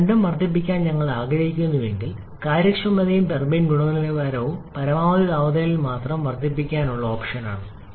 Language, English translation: Malayalam, But if we want to increase both the efficiency and the turbine exit quality our option is only increase in maximum temperature